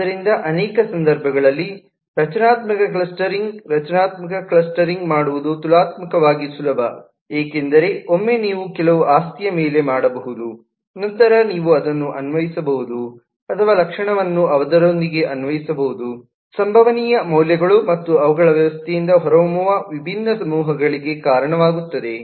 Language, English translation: Kannada, it is relatively easy to do structural clustering because once you can (()), (10:47) on some property, then you can apply it, or apply the property with its all possible values, and they lead to the different clusters that will emerge from the system